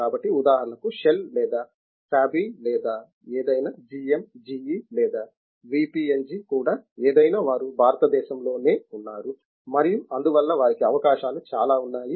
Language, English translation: Telugu, So, that for example, the shell or Sabey or any anything GM GE or whatever thing even the VPNG they are all here in India and therefore, they have opportunities there are many more